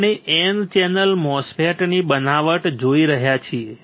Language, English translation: Gujarati, We are looking at N channel MOSFET fabrication